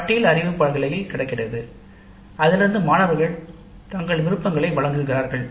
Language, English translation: Tamil, The list is available in the notice board and from that students give their preferences